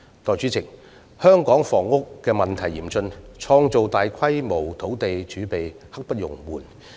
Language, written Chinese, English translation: Cantonese, 代理主席，香港的房屋問題嚴峻，創造大規模土地儲備刻不容緩。, Deputy President given the gravity of Hong Kongs housing problem the creation of a large land reserve should brook no delay